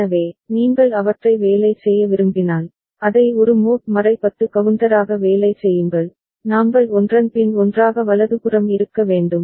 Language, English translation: Tamil, So, but if you want to work them, work it as a mod 10 counter, we have to cascade one after another right